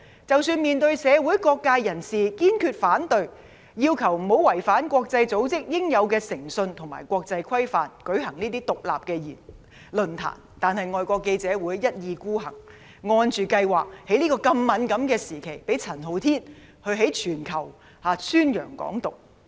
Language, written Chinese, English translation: Cantonese, 即使面對社會各界人士堅決反對，要求不要違反國際組織應有的誠信及國際規範，舉行"港獨"論壇，但外國記者會一意孤行，按計劃在這個敏感時期，讓陳浩天向全球宣揚"港獨"。, Even if people from various social sectors voiced their firm opposition urging FCC to refrain from holding a forum on Hong Kong independence in violation of the integrity required of an international organization and international norms FCC remained headstrong and allowed as planned Andy CHAN to publicize Hong Kong independence to the world at this sensitive juncture